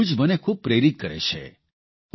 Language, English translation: Gujarati, This news is very inspiring